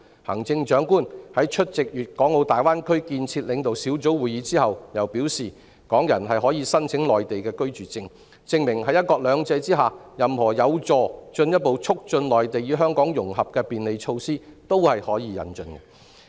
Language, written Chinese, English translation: Cantonese, 行政長官在出席粵港澳大灣區建設領導小組會議後又表示，港人可以申請內地居住證，證明在"一國兩制"下，任何有助進一步促進內地與香港融合的便利措施也是可以引進的。, After attending the meeting of the leading group for the development of the Guangdong - Hong Kong - Macao Greater Bay Area the Chief Executive stated that Hong Kong people can apply for Mainland residence permits . All of these bear testimony to the fact that under one country two systems any facilitation measure conducive to promoting the integration between the Mainland and Hong Kong can be considered for implementation